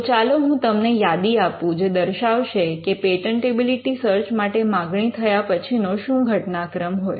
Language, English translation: Gujarati, So, let me just list the list of sequences that would normally happen when a patentability search is requested for